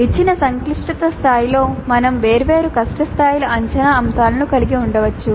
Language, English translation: Telugu, At a given complexity level we can now assessment items of different difficulty levels